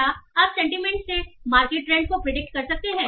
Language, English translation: Hindi, Can you predict the market trends from sentiment